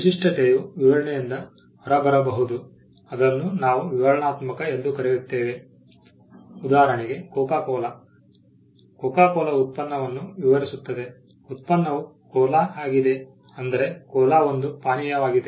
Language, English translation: Kannada, The distinctiveness can also come out of a description, what we call descriptive; for instance, Coca Cola describes the product, the product being cola